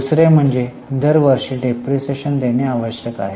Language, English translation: Marathi, The second one was depreciation is required to be provided every year